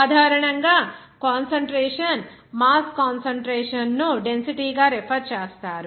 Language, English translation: Telugu, Generally concentration, mass concentration is referred to as density